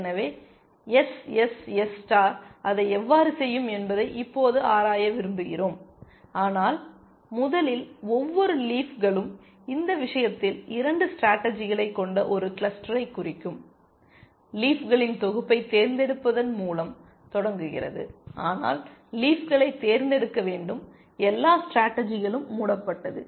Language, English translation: Tamil, So, we want to now explore how SSS star will do it, but first it starts off by selecting a set of leaves where each leaf represents a cluster of 2 strategies in this case, but you must select the leaves so, that all strategies are covered